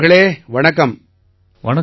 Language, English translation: Tamil, Gaurav ji Namaste